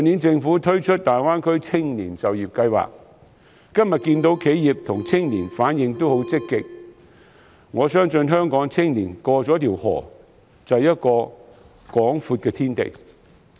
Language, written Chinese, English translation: Cantonese, 政府去年推行大灣區青年就業計劃，今天可看到企業和青年的反應都很積極，我相信香港青年在過河之後當可看到一個廣闊的天地。, The Government launched the Greater Bay Area Youth Employment Scheme last year and as witnessed today the Scheme has been well received by both enterprises and young people